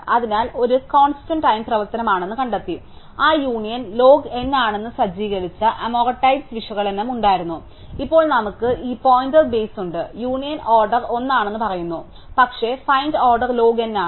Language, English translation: Malayalam, So, we had find, was a constant time operation and we had is amortized analysis that said that union was log n, now we have this pointer base think which says that union is order 1, but find is order log n